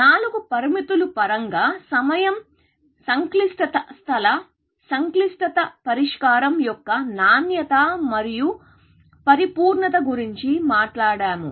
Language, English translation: Telugu, In terms of the four parameters, we talked about time complexity, space complexity, quality of solution and completeness